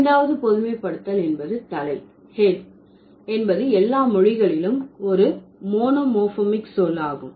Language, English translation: Tamil, Fifth's generalization was that the word head, H E A D, is a monomorphic word in all languages